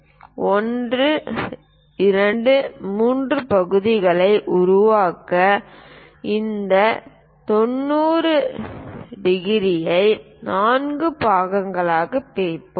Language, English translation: Tamil, So, to construct these 1 2 3 parts what we are going to do is again we will divide this 90 into 4 parts